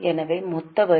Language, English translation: Tamil, So, total tax